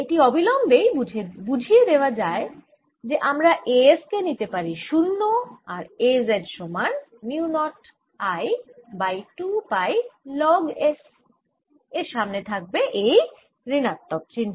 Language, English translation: Bengali, this immediately suggest that i can take a s to be zero and a z is mu, not i, over two pi logs with the minus sign in front